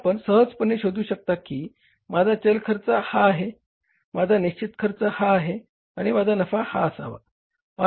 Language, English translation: Marathi, So you can easily find out my variable cost is this, my fixed cost is this and my profit should be this